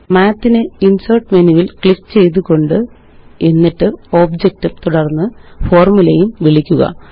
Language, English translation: Malayalam, Let us call Math by clicking Insert menu, then Object and then Formula